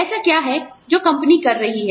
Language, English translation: Hindi, What is it that, the company is doing